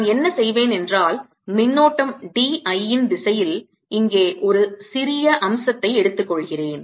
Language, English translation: Tamil, what i'll do is i'll take a small element here in the direction of the current d l